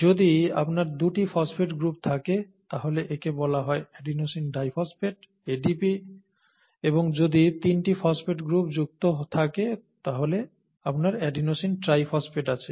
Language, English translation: Bengali, If you have 2 phosphate groups then this is called adenosine diphosphate, adenosine diphosphate, okay, ADP and if you have 3 phosphate groups attached you have adenosine triphosphate